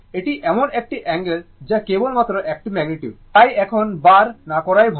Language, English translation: Bengali, It is angle this is a magnitude only; so better not to bar now